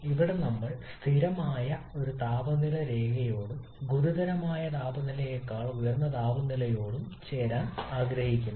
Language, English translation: Malayalam, Here we are looking to move along a constant temperature line and the line such that temperature is higher than the critical temperature